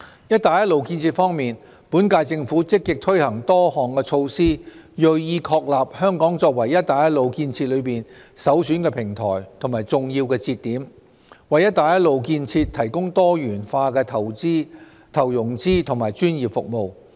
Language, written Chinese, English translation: Cantonese, "一帶一路"建設方面，本屆政府積極推行多項措施，銳意確立香港作為"一帶一路"建設中的首選平台和重要節點，為"一帶一路"建設提供多元化投融資及專業服務。, In respect of the Belt and Road construction the current - term Government has proactively implemented various measures determined to establish Hong Kong as the prime platform and key link providing diversified financing and professional services for the Belt and Road construction